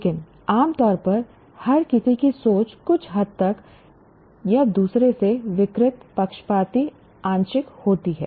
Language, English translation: Hindi, But generally everyone's thinking to some extent or the other is distorted, biased, partial and so on